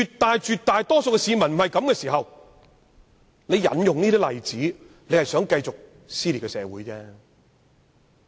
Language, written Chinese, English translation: Cantonese, 當絕大多數市民並沒有這種想法，引用這些例子就是想要繼續撕裂社會。, When the majority of the public do not think this way the aim of citing these examples is to perpetuate the split of our society